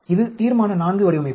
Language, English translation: Tamil, This is Resolution IV design